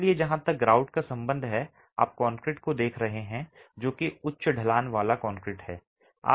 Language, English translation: Hindi, So, as far as the grout is concerned, you are looking at concrete that is high slump concrete